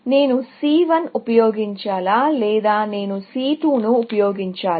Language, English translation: Telugu, Should I use C 1 or should I use C 2